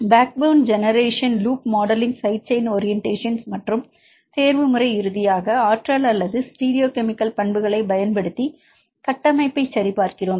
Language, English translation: Tamil, And backbone generation loop modelling side chain orientations and the optimization right finally, we validate the structure right using the energy or the stereochemical properties